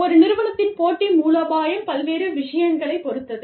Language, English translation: Tamil, The competitive strategy of a firm, is dependent upon, various things